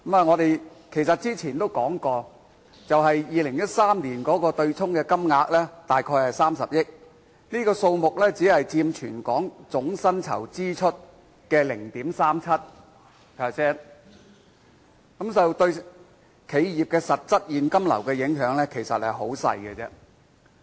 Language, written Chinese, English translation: Cantonese, 我們早前已說過 ，2013 年的對沖金額約為30億元，這數目只佔全港總薪酬支出的 0.37%， 對企業的實質現金流影響甚微。, As we have said earlier the amount offset in 2013 was around 3 billion accounting for 0.37 % of the total expenditure on salaries in Hong Kong . Hence the impact on the actual cash flow of enterprises is insignificant